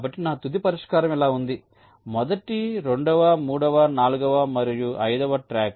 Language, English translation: Telugu, so i get my final solution like this: first, second, third, fourth and fifth track